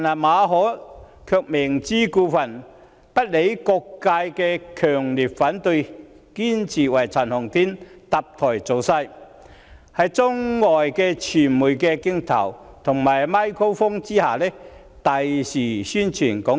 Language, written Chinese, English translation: Cantonese, 馬凱卻明知故犯，不理會各界強烈反對，堅持為陳浩天搭台造勢，讓他在中外傳媒的鏡頭和"咪高峰"下，大肆宣傳"港獨"。, Victor MALLET purposely ignored the strong opposition from all sectors and insisted on building a platform for Andy CHAN to wantonly publicize Hong Kong independence under the lens and microphones of Chinese and foreign media